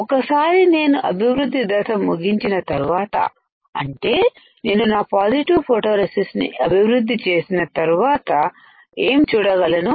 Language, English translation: Telugu, Once I complete my development step that is I develop my photoresist what can I see